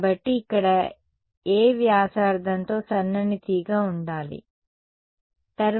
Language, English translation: Telugu, So, thin wire over here with radius to be a, alright